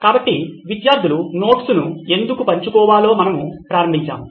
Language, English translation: Telugu, So we have started with why do students need to share notes